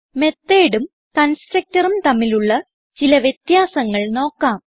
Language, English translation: Malayalam, Now let us see some difference between method and a constructor